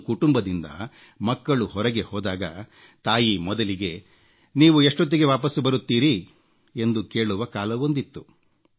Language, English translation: Kannada, There was a time when the children in the family went out to play, the mother would first ask, "When will you come back home